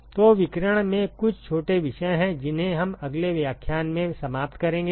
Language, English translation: Hindi, So, there are a couple of small topics in radiation that we will finish in the next lecture